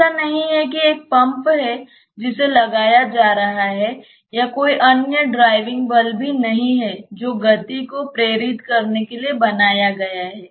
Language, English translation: Hindi, It is not that there is a pump that is being put or there is no other driving force that has been created to induce the motion